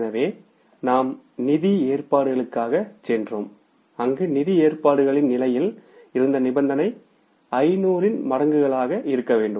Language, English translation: Tamil, So, we went for the financing arrangements and the condition there was in the financing arrangements condition in the cases that we have to borrow in the multiples of 500